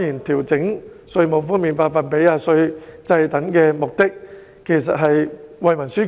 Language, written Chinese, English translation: Cantonese, 調整稅務寬減的百分比及稅制，目的當然是惠民紓困。, The purpose of adjusting the tax concession percentage rate and the tax regime is certainly to relieve peoples hardship